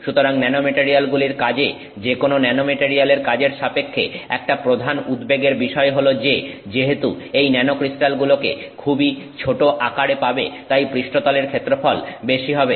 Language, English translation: Bengali, So, therefore, one major concern with respect to nanomaterials work, any nanomaterial work is that because you have got this nano crystalline size, it is extremely small crystal size, therefore the surface area is large